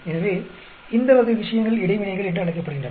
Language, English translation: Tamil, So, these type of things are called interactions